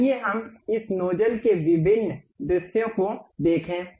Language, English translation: Hindi, Let us look at different views of this nozzle